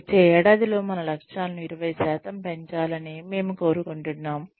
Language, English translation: Telugu, We would like to improve our targets, by 20% in the next one year